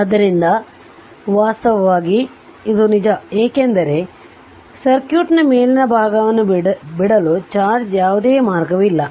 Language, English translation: Kannada, So in fact, this is the true because there is no path for charge to leave the upper part of the circuit